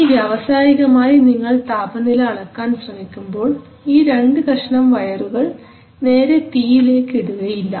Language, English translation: Malayalam, Now when you are trying to measure the temperature industrially you do not put those two pieces of wire directly into the fire